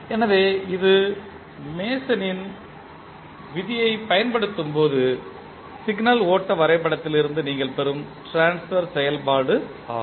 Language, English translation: Tamil, So, this is the transfer function which you will get from the signal flow graph when you apply the Mason’s rule